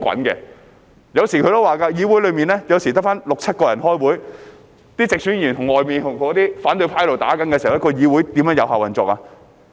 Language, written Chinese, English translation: Cantonese, 他也說過，議會內有時候只得六七人開會，當直選議員在外面跟反對派"打"的時候，議會如何有效運作呢？, He has mentioned that sometimes there are only six to seven Members at the meeting of the legislature . When Members returned by direct election are fighting with the opposition outside how can effective operation in the legislature be maintained?